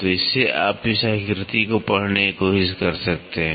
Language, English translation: Hindi, So, from this you can try to read this figure